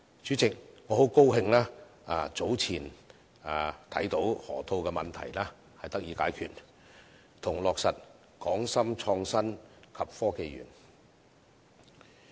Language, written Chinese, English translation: Cantonese, 主席，我很高興早前看到河套問題得以解決，以及落實"港深創新及科技園"。, President I am delighted to see that the Loop problem is now resolved and the Hong KongShenzhen Innovation Technology Park finalized